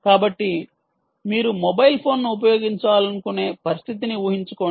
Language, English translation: Telugu, so, ah, imagine a situation where you still want to use the mobile phone